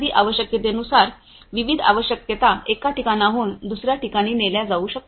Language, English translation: Marathi, depending on the requirement, specific requirement could be transported from one location to another